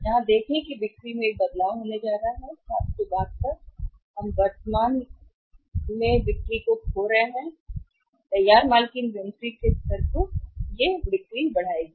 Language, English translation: Hindi, See here is going to a change in the sales, 772 we are losing the sales currently be Titus loosen the inventory will increase the level of inventory of the finished goods